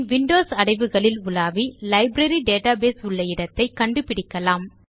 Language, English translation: Tamil, We will browse the Windows directory where the Library database file is saved